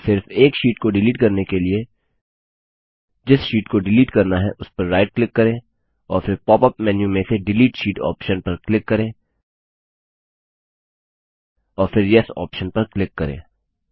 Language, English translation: Hindi, In order to delete single sheets, right click on the tab of the sheet you want to delete and then click on the Delete Sheet option in the pop up menu and then click on the Yes option